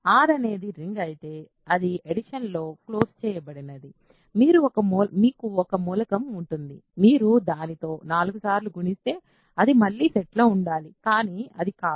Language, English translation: Telugu, If R is a ring it is supposed to be closed under addition, you have one element if you multiply it with itself 4 times, it is supposed to be inside the set again, but it is not